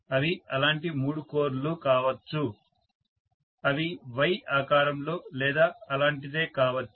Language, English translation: Telugu, They may be three such cores which are something in the shape of a Y or something like that, so I have three such cores